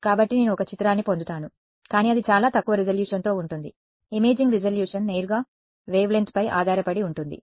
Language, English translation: Telugu, So, I will get an image, but it will be very lower resolution right the imaging resolution is dependent depends directly on the wavelength right